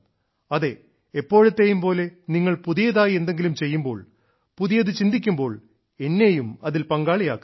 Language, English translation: Malayalam, And yes, as always, whenever you do something new, think new, then definitely include me in that